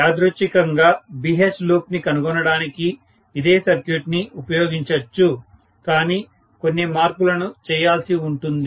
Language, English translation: Telugu, Incidentally the same circuit can be used for determining BH loop but with a little bit of modification